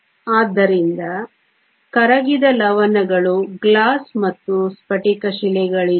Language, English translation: Kannada, So, there are no dissolved salts, Glass and Quartz